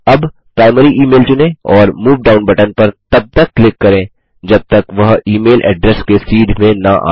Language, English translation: Hindi, Now, select Primary Email, and click on the Move Down button until it is aligned to E mail Address